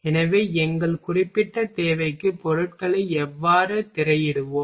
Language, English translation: Tamil, So, how we will screen materials for our particular requirement